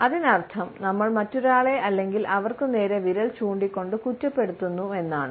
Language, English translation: Malayalam, It means that we are accusing the other person by pointing the finger at him or her